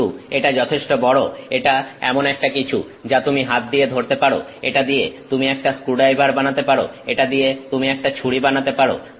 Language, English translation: Bengali, But this is large enough this is something that you can hold in your hand, you can make a screwdriver out of it, you can make a knife out of it